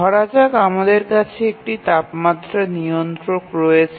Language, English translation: Bengali, Let's say that we have a temperature controller